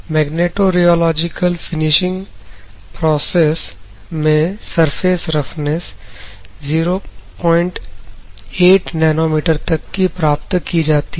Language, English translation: Hindi, Magnetorheological finishing process achieves the surfaces roughness of 0